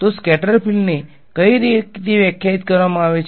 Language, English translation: Gujarati, So, what is the scattered field defined as